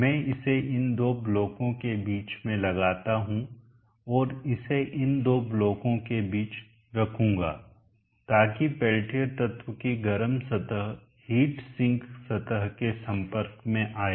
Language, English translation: Hindi, I will introduced it in between these two blocks and place it in between these two blocks so that the hot surface of the pen tier element will be in contact with the heat zinc surface